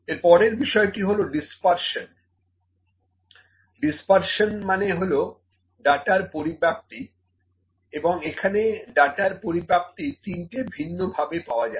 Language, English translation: Bengali, Next is dispersion, dispersion means the spread of data and the spread of data can be found from 3 different ways